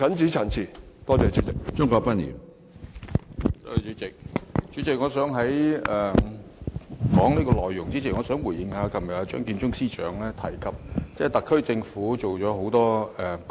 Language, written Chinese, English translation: Cantonese, 主席，在我就這項議案發言前，我想回應一下張建宗司長昨天的發言，當中提及特區政府做了很多功績。, President before I speak on the motion I would like to respond to the speech made by Chief Secretary Matthew CHEUNG yesterday in which he highlighted a number of achievements made by the SAR Government